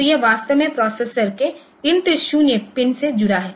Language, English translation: Hindi, So, this is actually connected to the INT 0 pin of the processor